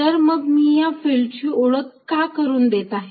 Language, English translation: Marathi, Then, why I am introducing such an idea of a field